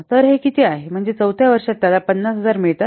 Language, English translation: Marathi, That means, up to 4th year he is getting 50,000